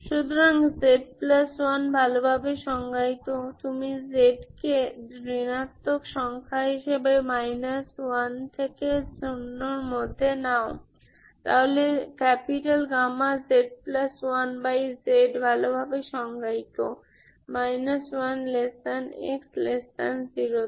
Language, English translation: Bengali, So z plus 1 is well defined, z you take as negative numbers between minus 1 to zero, so gamma z plus 1 by z is well defined, well defined in minus 1 to zero, Ok